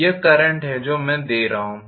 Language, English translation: Hindi, This is the current that I am forcing